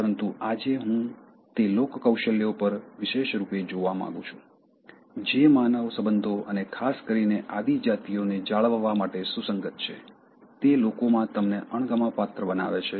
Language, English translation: Gujarati, But today, I want to look exclusively on those People Skills which are relevant in maintaining human relationships and particularly the tribes, which make people dislike you